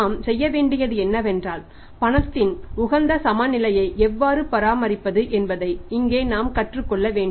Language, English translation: Tamil, So, what we have to do is we have to learn here how to maintain the optimum balance of cash